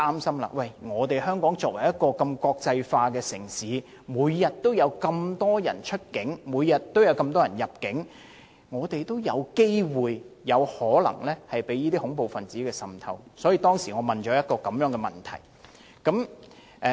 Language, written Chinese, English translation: Cantonese, 由於香港是國際城市，每天有大量遊客出境入境，有機會及有可能被恐怖分子滲透，所以我在2015年提出該項質詢。, As an international city Hong Kong was susceptible to infiltration of terrorists as many visitors entered and left Hong Kong every day . Thus I asked the question in 2015